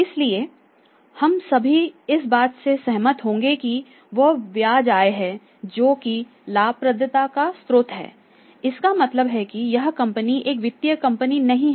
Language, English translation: Hindi, So, we would all agree that there is interest income which is the source of the profitability it means this firm is not a finance company